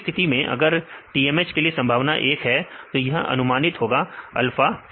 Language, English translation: Hindi, Second case, if the probability is one for the TMH; so it is predicted is alpha